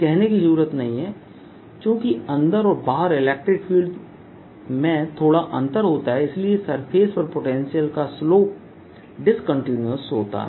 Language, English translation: Hindi, needless to say, since the electric field inside and outside is slightly different, the potential is going to have a discontinuity in the slope at the surface